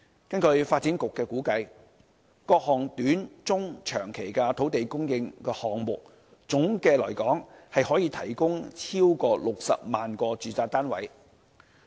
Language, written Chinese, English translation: Cantonese, 根據發展局的估計，各項短中長期土地供應項目，總的來說可提供超過60萬個住宅單位。, According to the Development Bureau all the short - medium - and long - term land supply projects are estimated to provide more than 600 000 residential units collectively